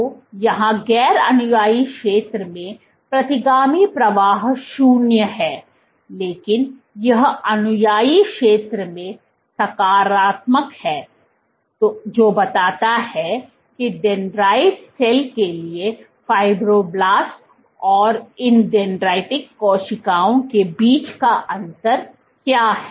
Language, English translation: Hindi, So, here retrograde flow is zero, in the non adherent zone, but it is positive in the adherent zone which suggests that the difference between fibroblast and these dendritic cells, for a dendritic cell let us say